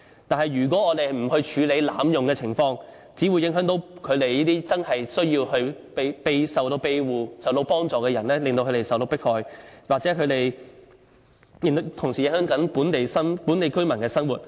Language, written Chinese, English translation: Cantonese, 但是，如果我們不處理濫用的情況，只會影響這些真正需要庇護，需要幫助的人受到迫害，亦同時影響本地居民的生活。, However if we fail to deal with the abuse it will only cause persecution to those genuine and needy asylum seekers . It will also affect the life of local residents